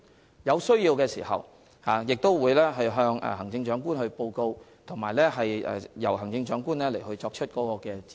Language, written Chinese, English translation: Cantonese, 如有需要，他們會向行政長官報告，由行政長官作出指示。, If necessary they will make a report to the Chief Executive who will then give an instruction